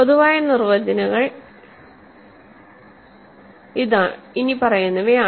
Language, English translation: Malayalam, General definitions are the following